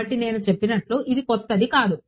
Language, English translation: Telugu, So, like I said this is nothing new